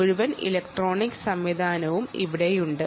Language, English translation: Malayalam, ok, and the full electronics system is here